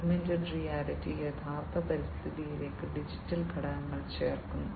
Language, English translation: Malayalam, Augmented reality adds digital elements to the actual environment